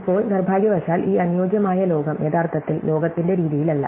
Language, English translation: Malayalam, Now, unfortunately this ideal world is not actually the way the world is